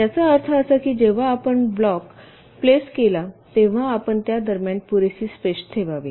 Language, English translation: Marathi, it means that when you place the blocks you should keep sufficient space in between